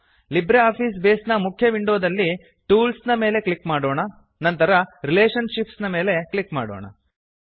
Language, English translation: Kannada, In the Libre Office Base main window, let us click on Tools and then click on Relationships